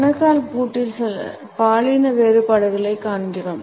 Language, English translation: Tamil, In the ankle lock, we also find certain gender differences